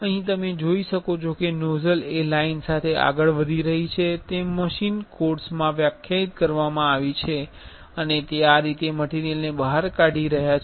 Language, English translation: Gujarati, Here you can see the nozzle is moving along the lines which is defined in the machine course and it is extruding material like this